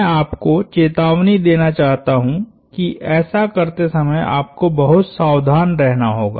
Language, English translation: Hindi, I want to warn you that you have to be very careful when you do that primarily